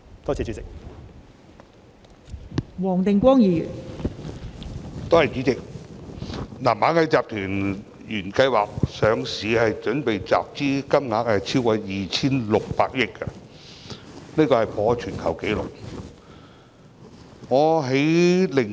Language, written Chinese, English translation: Cantonese, 代理主席，螞蟻集團原計劃集資的金額超過 2,600 億元，破全球紀錄。, Deputy President Ant Group originally planned to raise funds of an amount over 260 billion a global record high